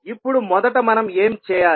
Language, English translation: Telugu, Now, first what we need to do